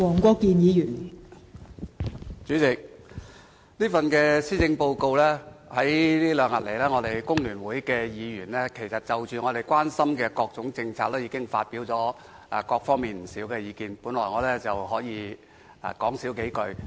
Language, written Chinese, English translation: Cantonese, 代理主席，在這兩天，我們工聯會議員已就這份施政報告提出的各種政策，發表了不少意見，我本來不打算多言。, Deputy President over the last two days Members from our Hong Kong Federation of Trade Unions FTU have made a considerable number of comments on various policies raised in this Policy Address . Hence I did not intend to make further comments on it